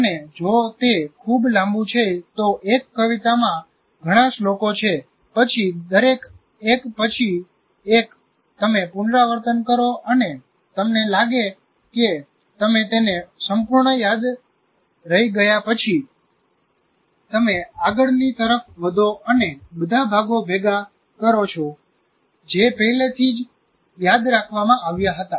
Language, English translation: Gujarati, And if it is a very long one, there are several stanzas in a poem, then each one by one you repeat and after you feel that you have retained it completely, then you move on to that and combine this into that